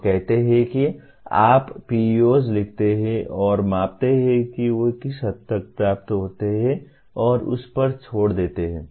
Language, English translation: Hindi, They say you write PEOs and measure to what extent they are attained and leave it at that